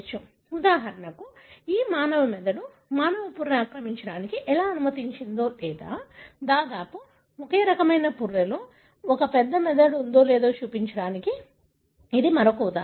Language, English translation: Telugu, So, this is again an example to show how for example this human brain is able to allow the human skull is able to occupy or allow a larger brain to be present in almost same kind of skull